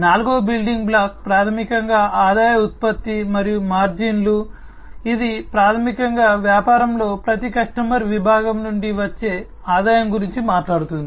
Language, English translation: Telugu, The fourth building block is basically the revenue generation and the margins, which basically talks about the revenue that is generated from each customer segment in the business